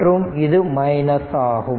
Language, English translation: Tamil, And this is plus; this is minus